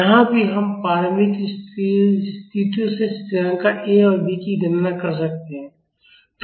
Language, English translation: Hindi, Here also we can calculate the constants A and B from the initial conditions